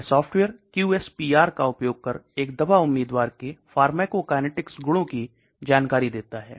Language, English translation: Hindi, This software predicts the pharmacokinetics properties of a drug candidate using QSPR